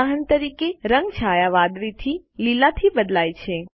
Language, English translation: Gujarati, For example, the color shade moves from blue to green